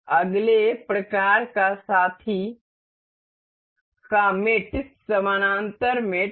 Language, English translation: Hindi, The next kind of mate is parallel mate